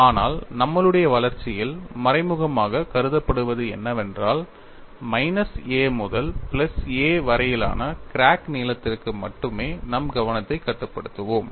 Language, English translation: Tamil, But what is implicitly assumed in our development is, we will confine our attention only for the crack length from minus a to plus a; you have to keep that in mind while we develop these steps